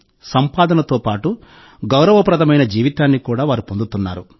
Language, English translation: Telugu, Along with income, they are also getting a life of dignity